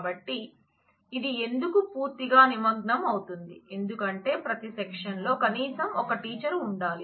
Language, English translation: Telugu, So, worry why is it a total involvement, because every section must have at least one teacher